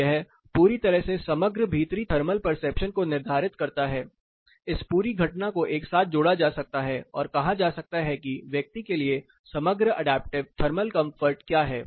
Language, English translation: Hindi, So, this totally determines overall indoor thermal perception, this whole phenomena can be combined together and say what is the overall adaptive thermal comfort available for the person